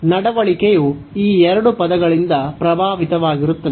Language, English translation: Kannada, So, the behavior will be influenced by these two terms